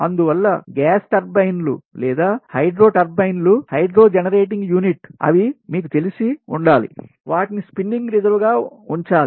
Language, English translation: Telugu, so thats why gas turbines or hydro turbines, hydro generating units, they should be, you know, ah, they should be kept as spinning reserve